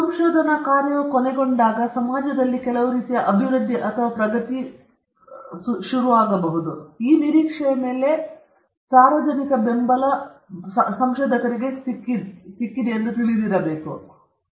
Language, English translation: Kannada, They should know that public supports or rather the trust is built upon the expectation that research work might end up or result in some sort of development or progress in the society, it might benefit the society